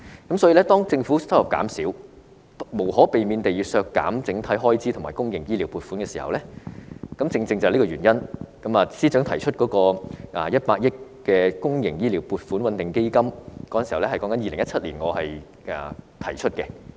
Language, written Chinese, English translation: Cantonese, 正是由於政府收入減少，無可避免地要削減整體開支和公營醫療撥款，我在2017年便提出成立100億元的公營醫療撥款穩定基金，而司長現在已採納我的建議。, It is precisely because the overall expenditure and funding for public medical and health care services would inevitably be cut down due to a drop in government revenue I hence proposed in 2017 the establishment of a 10 billion public health care stabilization fund and the Financial Secretary has now adopted my proposal